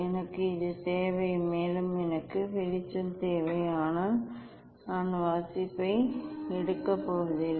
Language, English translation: Tamil, I need the I need the this one and also, I need light but, I am not going to take reading